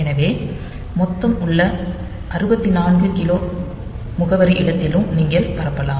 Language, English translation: Tamil, So, you can branch across the total 64 k address space that you have